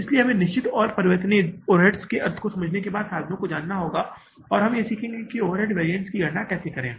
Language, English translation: Hindi, So, we will have to now means after understanding the meaning of fixed and variable overheads we will learn that how to calculate the overhead variances